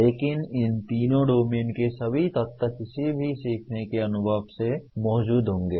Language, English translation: Hindi, But all the elements of these three domains will be present in any learning experience